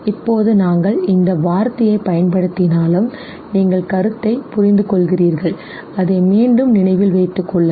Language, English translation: Tamil, Now although we have used this word you understand the concept, let me repeat it again so that you remember it better